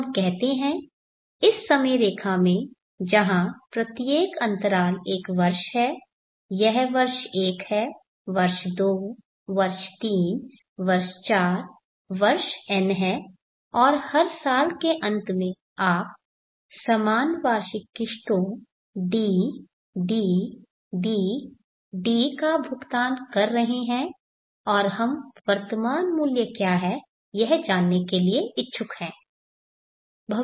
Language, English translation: Hindi, So let us say in this time line where each interval is one year this is year 1, year 2, year 3, year 4, year n and you are paying equal annual installments DDDD at the end of every year, and we are interested to find what is the present worth today